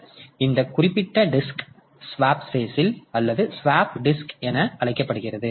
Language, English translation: Tamil, Now, this particular disk is known as the swap space or swap disk